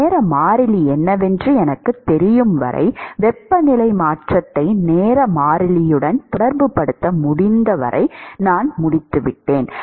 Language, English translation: Tamil, As long as I know what the time constant is, as long as I am able to relate the temperature change with respect to time constant, I am done